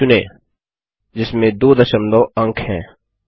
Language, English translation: Hindi, 1234.00 that has two decimal places